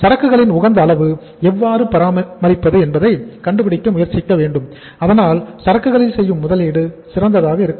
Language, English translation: Tamil, We should try to find out that how to maintain the optimum level of inventory so that investment in the inventory is also optimum